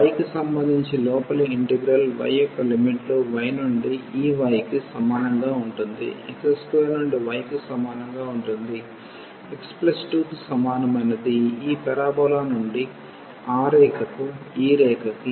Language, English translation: Telugu, The limits of the inner integral y with respect to y will be from this y is equal to x square to y is equal to x plus 2 the parabola to this to this line from this parabola to that line